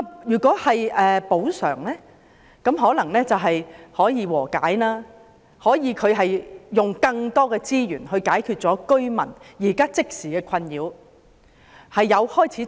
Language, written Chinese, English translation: Cantonese, 如果作出補償，則或許能達成和解，可以用更多資源解決居民即時的困擾。, If compensation is offered settlements may be reached and resources can be used to address the immediate concerns of the residents